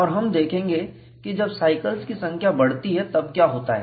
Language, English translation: Hindi, And we will see what happens, when the number of cycles is increased